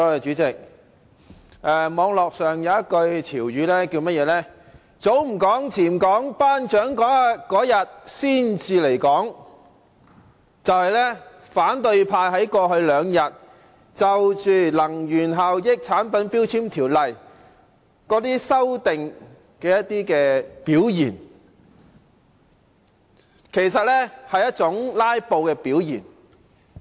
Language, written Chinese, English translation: Cantonese, 主席，網絡上有一句廣東話潮語："早唔講，遲唔講，頒獎嗰日先至嚟講"，這便是反對派在過去兩天就修訂《能源效益條例》的表現，其實也是一種"拉布"的表現。, President there is this trending Cantonese idiom on the Internet which says to the effect that one speaks his mind only at the divine moment . This is how the opposition camp has behaved with respect to the amendment of the Energy Efficiency Ordinance over the last two days which is actually sort of filibustering